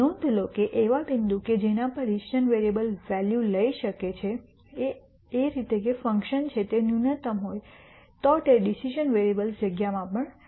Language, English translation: Gujarati, Notice that the point at which the decision variables take values such that the function is a minimum is also in the decision variable space